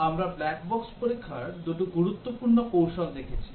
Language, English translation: Bengali, We were discussing in the previous sessions about Black box testing techniques